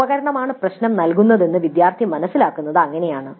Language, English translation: Malayalam, So that's how the student would come to know that the equipment was the one which was giving the trouble